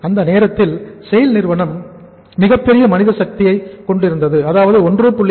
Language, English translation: Tamil, At that time the SAIL had a very huge, large manpower, 1